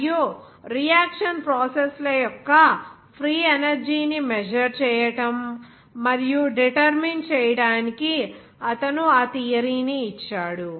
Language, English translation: Telugu, And he gave that theory to determine and also by measuring the free energy of the reaction processes